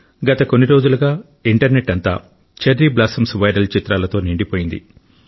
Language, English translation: Telugu, For the past few days Internet is full of viral pictures of Cherry Blossoms